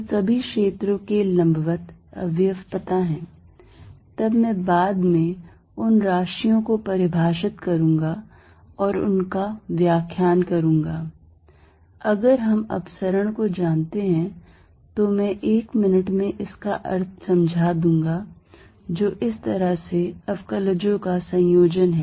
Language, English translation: Hindi, So, perpendicular component all the field is known, then I am going to define and explain those quantities later, if we know the divergence I will explain its meaning in a minute which is the combination of derivatives in this from